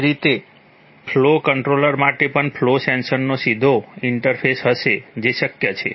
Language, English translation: Gujarati, Similarly for a flow controller there will be direct interface to a flow sensor that is possible